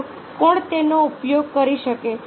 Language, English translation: Gujarati, ok, who else can use it